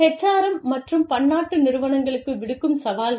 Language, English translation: Tamil, Challenges to, HRM and Multinational Enterprises